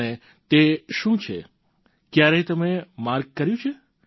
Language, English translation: Gujarati, And what is that…have you ever marked